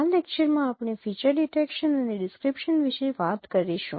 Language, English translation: Gujarati, In this lecture, we will talk about feature detection and description